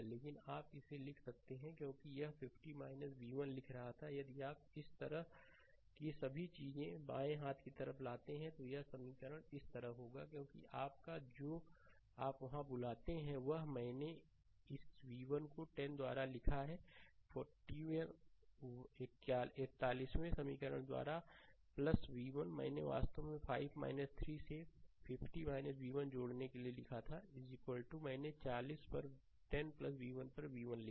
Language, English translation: Hindi, But you can write it because there it was writing 50 minus v 1, if you bring all this things to the left hand side like this, it will equation will be like this, right because ah your what you call there there are what I wrote this v 1 by 10 plus v 1 by 41st equation, what I wrote actually to add 50 minus ah v 1 by 5 plus 3 is equal to I wrote v 1 upon 10 plus v 1 upon 40, right